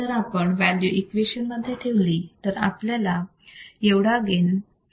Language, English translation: Marathi, Substitute the value and you will see gain of 1